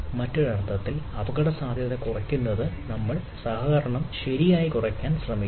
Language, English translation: Malayalam, so, in other sense, in order to reduce the risk, we try to reduce the collaboration itself